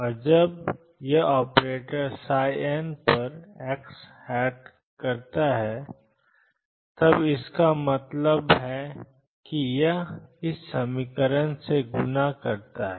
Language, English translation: Hindi, And when this operator x operator acts on psi n this means it just multiples by x psi m star x times psi n x dx